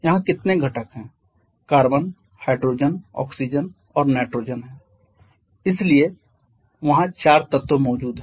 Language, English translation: Hindi, There are how many constituents there are there is carbon hydrogen oxygen and nitrogen so there are four elements present there